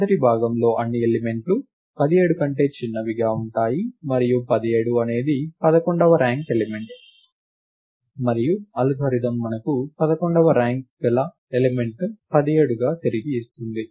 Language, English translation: Telugu, And in the first part we have all the elements which are smaller than 17, and 17 is the eleventh ranked element, and the algorithm terminates and returns the value 17 as the eleventh ranked element